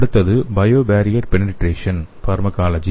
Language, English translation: Tamil, The next one is bio barrier penetration nanopharmacology